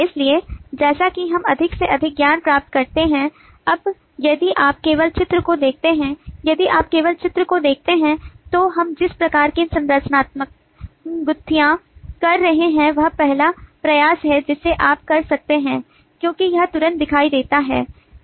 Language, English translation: Hindi, so, as we get more and more knowledge now, if you just look at the picture, if you just look at the diagram, then the kind of structural clustering that we had been doing is a first attempt that you can make because it is immediately visible